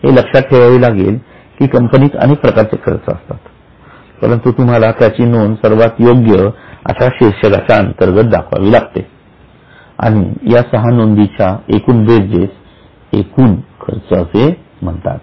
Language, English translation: Marathi, Keep in mind, you can have more expenses also, but you would put them under the most appropriate head and at the end of the six items you calculate the total expenses